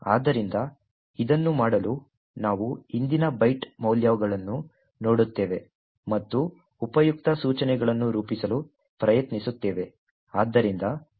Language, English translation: Kannada, So, in order to do this, we look at the previous byte values and try to form useful instructions